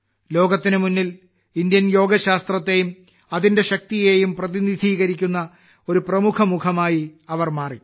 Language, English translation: Malayalam, She has become a prominent face of India's science of yoga and its strength, in the world